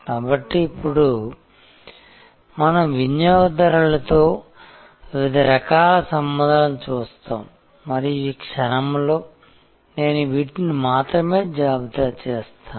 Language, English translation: Telugu, And so now, we will look a different types of relationship with customers and at this moment before I conclude I will only list these